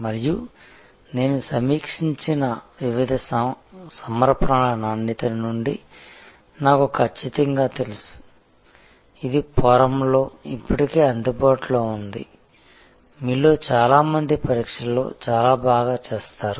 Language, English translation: Telugu, And I am quite sure from the quality of the various submissions that I have reviewed, which are already available on the forum that most of you will do quite well at the exam